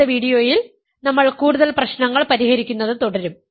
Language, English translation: Malayalam, In the next video, we will continue solving more problems